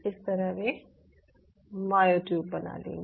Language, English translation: Hindi, they will form the myotubes